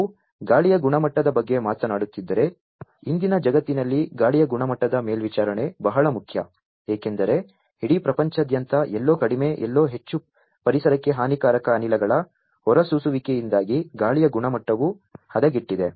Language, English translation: Kannada, If we are talking about air quality; air quality monitoring is very important in today’s world; because the entire world throughout the entire world somewhere less somewhere more the air quality has degraded, due to the emission of lot of harmful gases into the environment